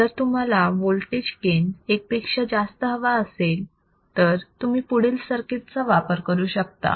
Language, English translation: Marathi, If a voltage gain greater than 1 is required, you can use the following circuit